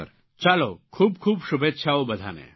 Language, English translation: Gujarati, Many good wishes to you